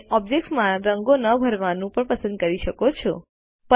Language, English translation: Gujarati, You can also choose not to fill the object with colors